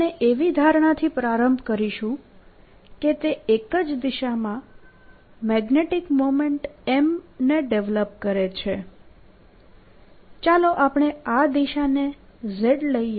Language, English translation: Gujarati, we'll start by assumption that it develops a magnetic moment m in the same direction